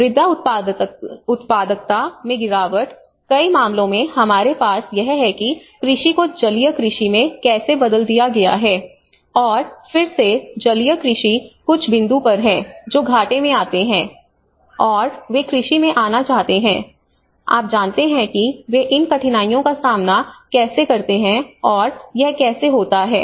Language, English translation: Hindi, Decline in soil productivity you know, in many at cases we have this how the agriculture have been converted into aquaculture, and again aquaculture has been at some point they come into losses, and again they want to come into agriculture you know how they face these difficulties and how it will reduce the soil productivity as well